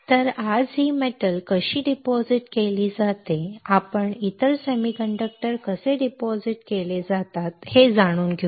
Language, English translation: Marathi, So, how this metal is deposited today we will learn how other semiconductors are deposited